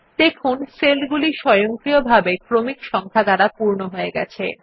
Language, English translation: Bengali, We see that the cells automatically get filled with the sequential serial numbers